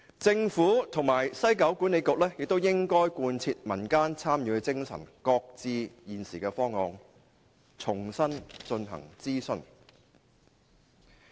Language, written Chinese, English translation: Cantonese, 政府及西九管理局亦應貫徹民間參與的精神，擱置現時的方案，重新進行諮詢。, The Government and WKCDA should also adhere to the spirit of public participation by shelving the existing proposal and start afresh a consultation